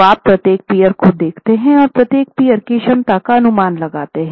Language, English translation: Hindi, So, you take each peer and for each peer estimate what is the sheer capacity of the peer